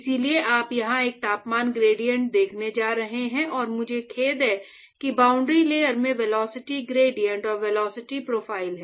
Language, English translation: Hindi, So, therefore, you going to see here a temperature gradient and I am sorry velocity gradient and velocity profile in the boundary layer